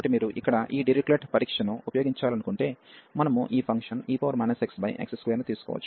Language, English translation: Telugu, So, if you want to use this Dirichlet test here, we can take this function e power minus x over x square